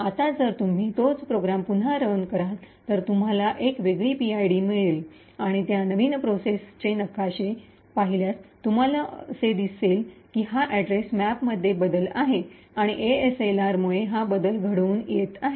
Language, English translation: Marathi, Now, if you run that same program again obviously you would get a different PID and if you look at the maps for that new process you would see that it is a change in the address map and this change is occurring due to ASLR